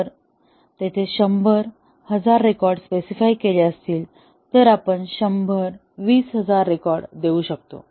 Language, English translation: Marathi, If it is specified hundred, thousand records we might give hundred, twenty thousand records